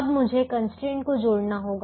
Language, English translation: Hindi, now i have to add the constraints